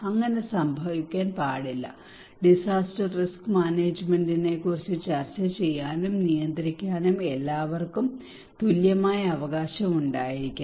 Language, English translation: Malayalam, So that should not happen, everybody should have the fair and equal right to discuss and suggest on disaster risk management